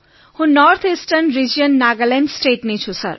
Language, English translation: Gujarati, I belong to the North Eastern Region, Nagaland State sir